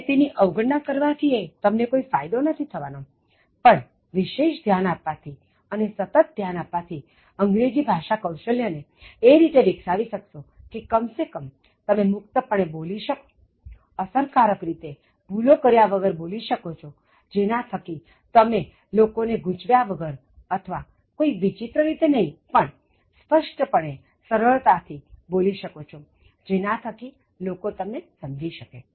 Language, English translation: Gujarati, And then ignoring that, is not going to give you any benefit, but paying some attention and consistently will make you develop English skills in such a manner, at least you speak freely and you are able to speak in an effective manner and without errors by which you do not confuse people or you do not speak in an ambiguous manner and you try to speak clearly, simply, so that people understand you